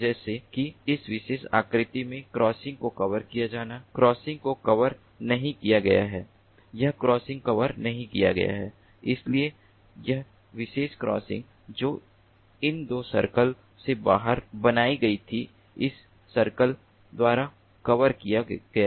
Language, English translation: Hindi, this crossing is not covered, whereas this particular crossing, which was formed out of these two circles, is covered by this circle